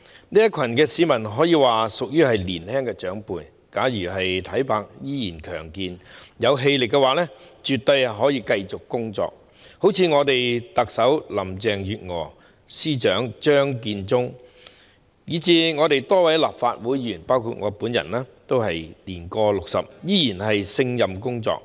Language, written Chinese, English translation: Cantonese, 這群市民可以說是年青長輩，假如體魄依然強健，有氣力的話，絕對可以繼續工作，好像我們特首林鄭月娥、司長張建宗，以至多位立法會議員，包括我本人，也是年過 60， 依然勝任工作。, This group of citizens can definitely be regarded as young seniors . If they are still in good shape and physically strong they can definitely continue to work . For example our Chief Executive Carrie LAM Chief Secretary for Administration Matthew CHEUNG as well as a number of Members of the Legislative Council myself included are all over 60 years of age and still competent at our job